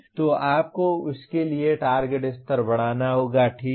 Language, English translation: Hindi, So you have to increase the target levels for that, okay